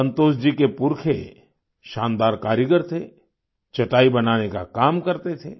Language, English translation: Hindi, Santosh ji's ancestors were craftsmen par excellence ; they used to make mats